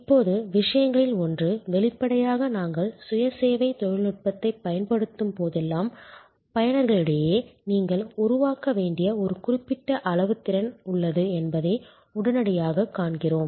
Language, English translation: Tamil, Now, one of the things; obviously, we see immediately that whenever we are using self service technology, there is a certain amount of competency that you need to develop among the users